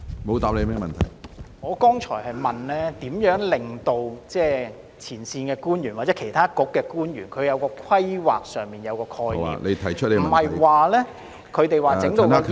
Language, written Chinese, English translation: Cantonese, 我剛才問的是，局長會如何令前線官員或其他政策局的官員在規劃上體現深港發展觀......, Just now my question is How will the Secretary ensure that frontline officials or officials of other Policy Bureaux will implement the philosophy of Shenzhen - Hong Kong development in the course of land planning